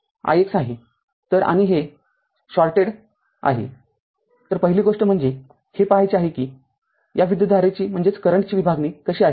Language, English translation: Marathi, So, and this is shorted so first thing is you have to see that how this current division are right